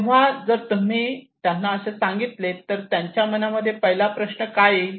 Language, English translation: Marathi, So if you ask them what questions will come first in their mind what will they think first